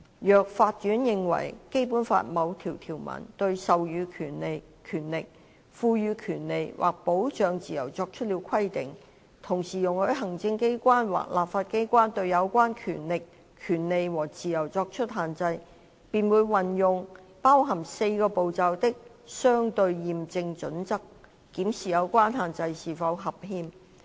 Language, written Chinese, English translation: Cantonese, 若法院認為《基本法》某項條文對授予權力、賦予權利或保障自由作出了規定，同時容許行政機關或立法機關對有關權力、權利和自由作出限制，便會運用包含4個步驟的"相稱驗證準則"，檢視有關限制是否合憲。, If the court considers that a particular article of the Basic Law provides for conferring powers and rights or guaranteeing freedoms and allows the executive authorities or the legislature to restrict such powers rights and freedoms it would apply the four - step proportionality test to determine whether the restriction concerned is constitutional